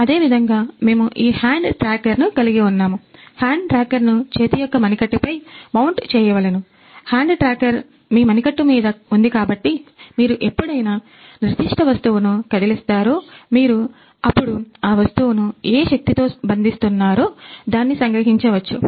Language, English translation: Telugu, Similarly we are having this hand tracker, so you just had to mount this hand; hand tracker on your wrist so that whenever you will move certain object or whenever you will capture and move certain object you it can capture what with what force you are capturing that object